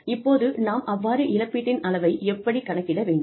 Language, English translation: Tamil, Now, how do we calculate compensation